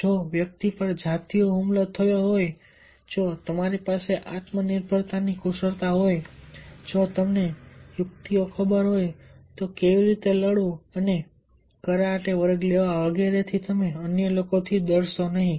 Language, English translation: Gujarati, if the person is sexually assaulted, if you have the self reliance skills, if you know the tricks, how to fight and take the karate classes, you will not fear the other people